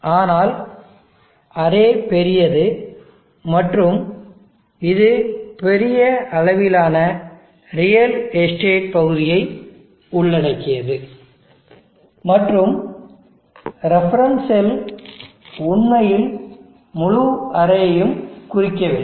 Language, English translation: Tamil, But the array is peak and it covers a large amount of real estate area and the reference cell does not actually represent the entire array